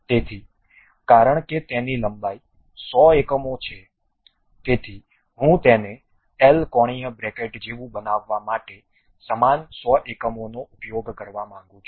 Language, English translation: Gujarati, So, because it is 100 unit in length; so I would like to use same 100 units to make it like a L angular bracket